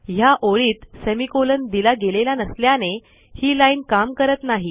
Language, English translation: Marathi, So because of this error on this line without the semicolon, this line cannot run